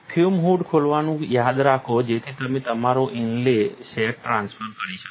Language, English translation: Gujarati, Remember to open the fume hood, so that you can transfer your inlay set